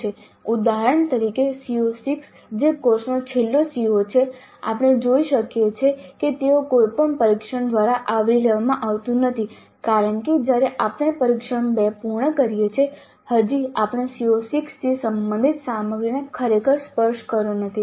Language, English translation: Gujarati, of the course we can see that it is not covered by any test at all because by the time we complete the test 2 still we have not really touched on the material related to CO6